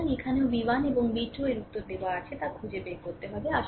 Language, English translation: Bengali, So, here also v 1 and v 2 you have to find out right answers are given